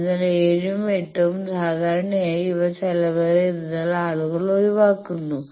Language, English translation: Malayalam, So, 7 and 8 generally people avoid that these are costly